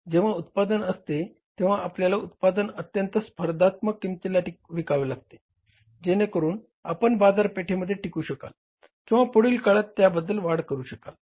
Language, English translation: Marathi, Now when there is a competition, you have to sell the product at a very competitive price so that you are able to retain the market base or to further increase it